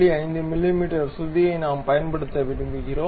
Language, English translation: Tamil, 5 mm pitch we can use